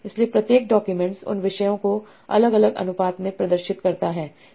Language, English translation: Hindi, So this article is blending these three topics in different proportions